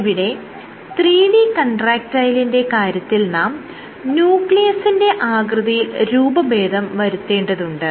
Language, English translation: Malayalam, In the case of 3D contractile the nucleus has to be deformed